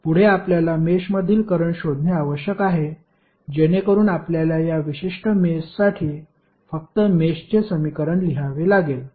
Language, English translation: Marathi, We have to next find out the current in other mesh, so you have to just write the mesh equation for this particular mesh